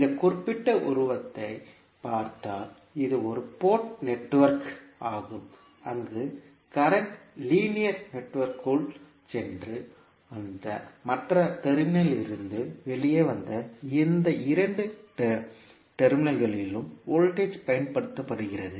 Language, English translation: Tamil, So, if you look at this particular figure, this is one port network where the current goes in to the linear network and comes out from the other terminal and voltage is applied across these two terminals